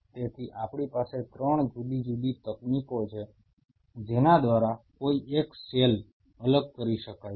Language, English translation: Gujarati, So, we have 3 different techniques by virtue of which one can do a cell separation